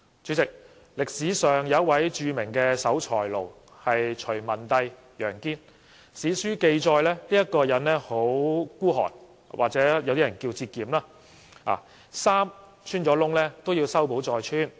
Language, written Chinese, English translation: Cantonese, 主席，歷史上有一位著名的守財奴隋文帝楊堅，史書記載他很吝嗇，也有些人稱之為節儉，他的衣服穿洞也要修補再穿。, President a well - known scrooge in history was YANG Jian Emperor Wen of the Sui Dynasty . According to historical records he was very miserly though some people said he was frugal; he wore worn - out clothes with holes in it mended